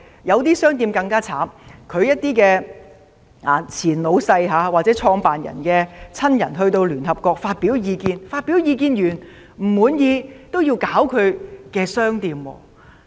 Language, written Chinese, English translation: Cantonese, 有些更慘，由於它們的前老闆或創辦人的親人在聯合國發表的意見引起不滿，結果令店鋪被騷擾。, Some are even in bigger trouble as their shops were disturbed because the former boss or the founders relatives had expressed in the United Nations views causing dissatisfaction